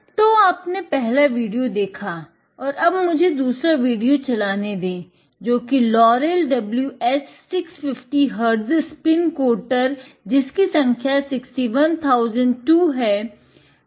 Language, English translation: Hindi, So, you have seen the first video and let it me play the second video which is on Laurell WS 650 HZ Spin Coater, the number is 61002